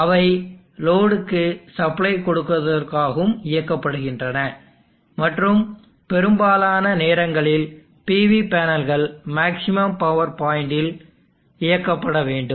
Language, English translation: Tamil, They are operated to although supplying to the load and most of the time the PV panels are supposed to be operated at maximum power of point